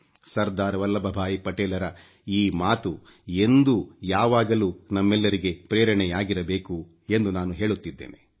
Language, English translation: Kannada, One ideal of Sardar Vallabhbhai Patel will always be inspiring to all of us